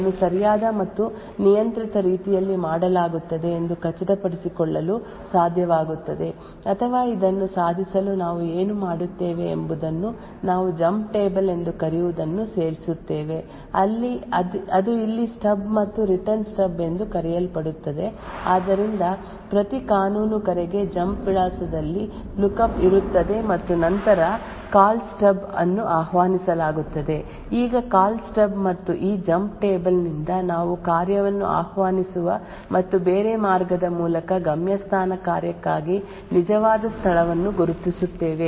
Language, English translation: Kannada, Now we should be able to ensure or that these function invocations are done in a proper and controlled manner now what we do in order to achieve this what we add something known as a jump table which is present here a called Stub and a Return Stub, so for every legal call there is a lookup in the jump address and then the Call Stub is invoked, now from the Call Stub and this jump table we would identify the actual location for the destination function that function would get invoked and through a different path the return is passed back to the present function